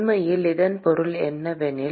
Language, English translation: Tamil, What it really means is that